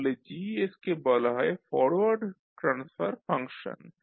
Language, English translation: Bengali, So Gs is called as forward transfer function